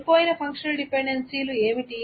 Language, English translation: Telugu, So what are the functional dependencies that is lost